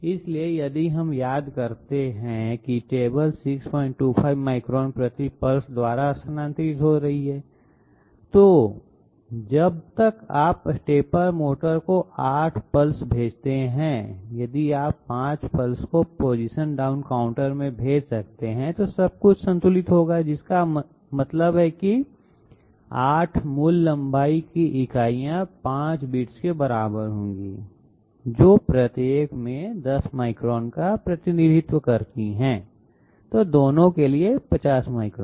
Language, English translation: Hindi, 25 8 = 5 10, so by the time you send 8 pulses to the stepper motor, if you can send 5 pulses to the position down counter, everything will be balanced that means 8 basic length units will be equivalent to 5 bits representing 10 microns each, 50 microns here, 50 microns here